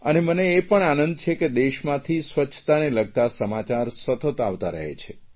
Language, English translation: Gujarati, I am very happy that a lot of news stories related to cleanliness keep appearing in the media space